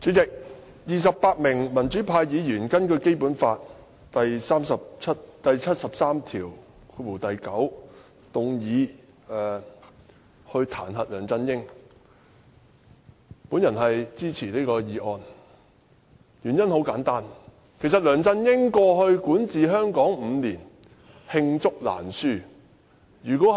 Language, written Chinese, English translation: Cantonese, 主席，我支持28名民主派議員根據《基本法》第七十三條第九項動議彈劾梁振英的議案，原因很簡單，梁振英在過去5年管治香港，惡行罄竹難書。, President I support the motion initiated by 28 pro - democracy Members to impeach LEUNG Chun - ying in accordance with Article 739 of the Basic Law . The reason is simple . Over the past five years of his administration LEUNG Chun - yings wrongdoings are just too numerous to mention